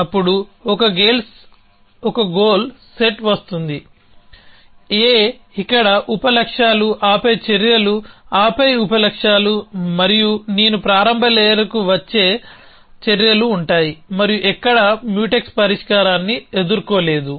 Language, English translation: Telugu, Then a goal set come, A here sub goals and then actions and then sub goals and then actions till I come to the initial layer and nowhere do a encounter a Mutex solution